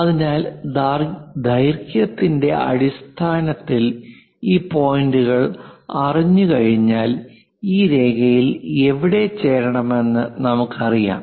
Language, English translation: Malayalam, So, once we know these points in terms of lengths, we know where to where to join this line